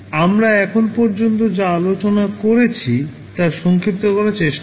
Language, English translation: Bengali, Let us try to summarize what we have discussed till now